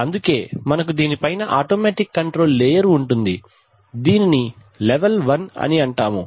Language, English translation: Telugu, So, on top of these we have the automatic control layer which is called level 1